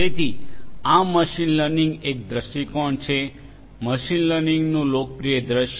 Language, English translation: Gujarati, So, this is one view of machine learning, a popular view of machine learning